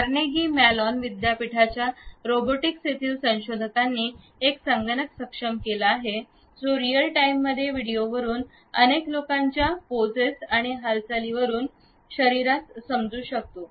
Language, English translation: Marathi, Researchers at Carnegie Mellon University’s Robotics Institute have enabled a computer, which can understand the body poses and movements of multiple people from video in real time